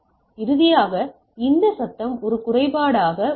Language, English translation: Tamil, And finally, we have this noise as the impairment right